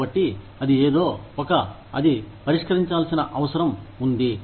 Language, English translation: Telugu, So, that is something, that needs to be dealt with